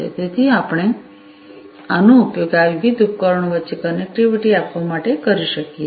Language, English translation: Gujarati, So, we could use them to offer connectivity between these different devices